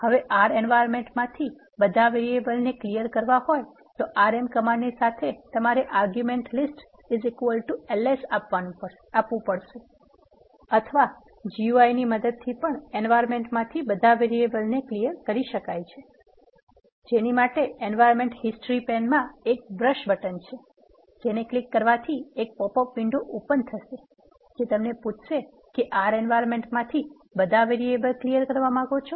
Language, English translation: Gujarati, If you want to delete all the variables that are there in the environment what you can do is you can use the rm with an argument list is equal to ls followed by parenthesis or you can clear all the variables in the environment using the GUI in the environment history pane you see this brush button, when you press the brush button it will pop up a window saying we want to clear all the objects that are available in environment if you say yes it will clear all the variables